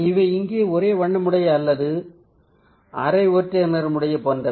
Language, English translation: Tamil, so these are something which is like near monochromatic or semi monochromatic